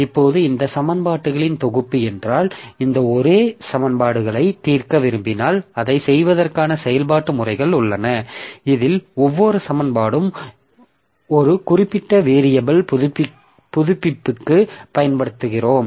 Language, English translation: Tamil, Similarly, A31 x1, if we want to solve this simultaneous equations, there are some methods, iterative methods for doing that in which each equation we use for one particular variable update